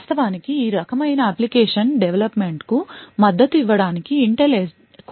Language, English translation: Telugu, In order to actually support this form of application development Intel has a few instructions